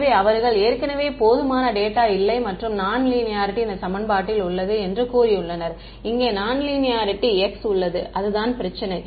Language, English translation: Tamil, So, they have already said that ill posed not enough data and non linear right, this equation over here is non linear in x that is the problem